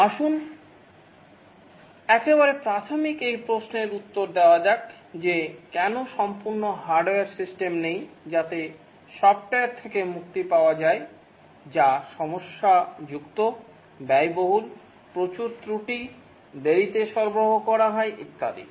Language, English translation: Bengali, Let's answer this very basic question that why not have an entirely hardware system, get rid of software, it's problematic, expensive, lot of bugs, delivered late, and so on